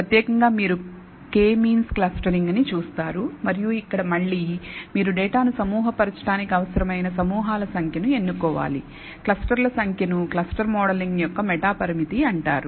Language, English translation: Telugu, In particular you will come across K means clustering and here again, you have to choose the number of clusters required to group the data and the number of clusters is called the meta parameter of the clustering modeling